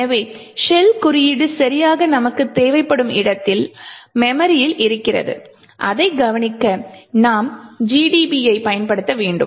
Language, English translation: Tamil, So, we would require to know where exactly in memory the shell code is present and in order to notice we would need to use GDB